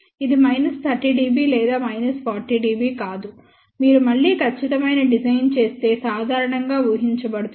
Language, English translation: Telugu, It is not minus 30 dB or minus 40 dB which is generally expected if you do a perfect design again